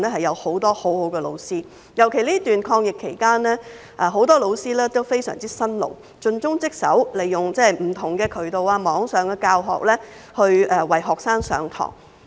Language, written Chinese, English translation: Cantonese, 尤其在這段抗疫期間，很多教師都非常辛勞，盡忠職守，利用不同的渠道來為學生上課。, In particular during the current fight against the pandemic many teachers are very hard - working and dedicated to their duties running lessons for students through different means such as online teaching